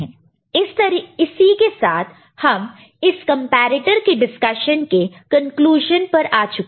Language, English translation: Hindi, So, with this, we come to the conclusion of this particular discussion on comparator